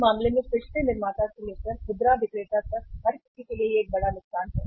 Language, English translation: Hindi, In that case again it is a big loss to the manufacturer to the retailer to everybody